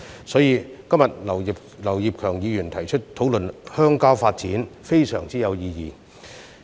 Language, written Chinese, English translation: Cantonese, 所以，今天劉業強議員提出討論鄉郊發展，可說是非常有意義。, Therefore it is indeed very meaningful for Mr Kenneth LAU to propose a motion for a discussion on rural development today